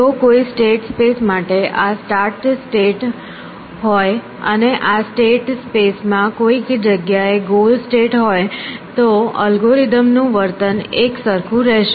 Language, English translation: Gujarati, If given a state space if this is a start state and this is, and where ever the goal state may be in this state space the behavior of the algorithm would be the same